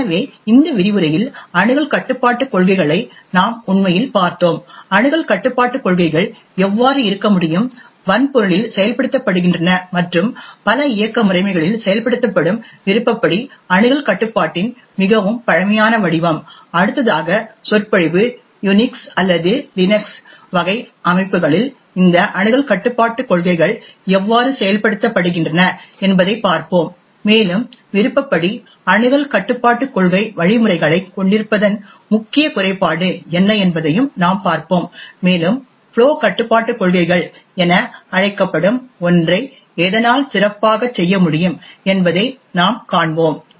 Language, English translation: Tamil, So in this lecture we had actually looked at access control policies, we had seen how access control policies can be, are implemented in the hardware and a very primitive form of discretionary access control which is implemented in many of the operating systems, in the next lecture we will look at how this access control policies are implemented in Unix or LINUX types systems and we would also looked at what is the major drawback of having Discretionary Access Control policy mechanisms and we will actually see this could be made better why something known as a Flow Control policies